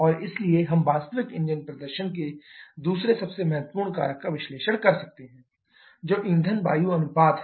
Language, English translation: Hindi, And therefore, we can analyse the second most important factor in actual engine performance that is the fuel air ratio